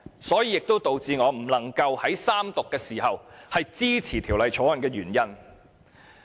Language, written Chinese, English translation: Cantonese, 這也是導致我不能在三讀時支持《條例草案》的原因。, This is also the reason why I do not support the Bill in the Third Reading